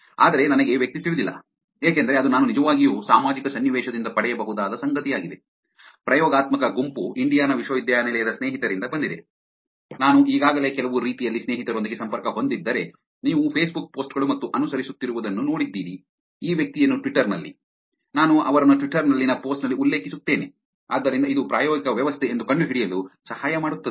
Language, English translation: Kannada, But I do not know the person because that's something I can actually get from the social context, experimental group is from a friend in Indiana university itself, which is if I have already connected to the friends in some way you saw the Facebook posts and following this person in twitter, I mention them in the post on twitter, so all that it actually helps to find out that is the experimental setup